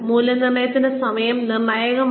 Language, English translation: Malayalam, The timing of the appraisal is critical